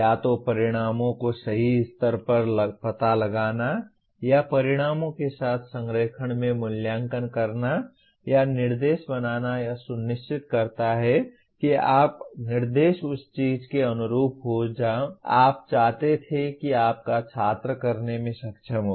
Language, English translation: Hindi, Either locating the outcomes at the right level or making the assessment in alignment with outcomes or planning instruction making sure that your instruction is in line with what you wanted your student to be able to do